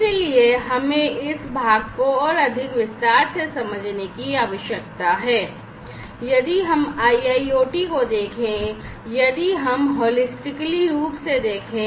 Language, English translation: Hindi, So, we need to understand this part in more detail so, if we look at the, you know, IIoT right, so, IIoT if we look at holistically